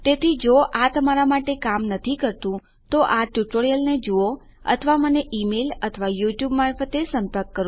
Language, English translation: Gujarati, So if this doesnt work for you watch that tutorial or just drop me an email or contact me through my youtube